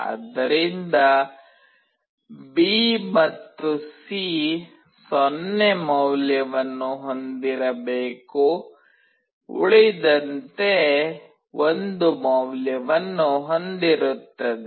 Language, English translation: Kannada, So, B and C should have a 0 value all else will have 1 value